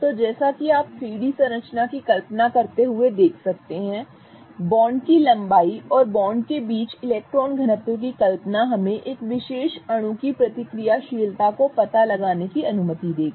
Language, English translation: Hindi, So, as you can see, imagining the 3D structure, imagining the bond lengths and the electron density between the bonds will allow us to gauge the reactivity of a particular molecule